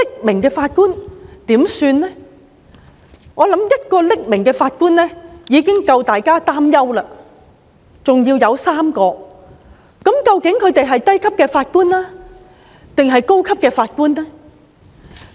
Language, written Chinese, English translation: Cantonese, 我相信1位匿名法官已經令大家擔憂，現在還有3位，究竟他們是低級法官還是高級法官呢？, I believe it is already worrying to have one Judge who did so not to mention three . Are these Judges junior or senior Judges?